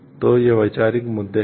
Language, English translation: Hindi, So, these are the conceptual issues